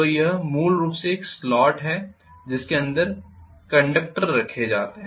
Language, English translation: Hindi, So this is essentially a slot inside which conductors are placed